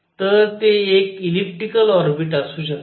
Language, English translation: Marathi, So, it could be an elliptic orbit